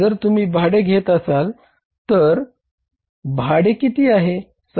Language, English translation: Marathi, If we take rent, rent is how much